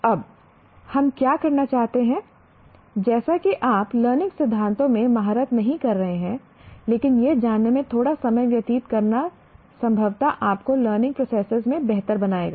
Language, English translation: Hindi, Now what we would like you to do, as you are not specializing in learning theories, but spending a little time on exploring that will possibly will sensitize you to the learning process better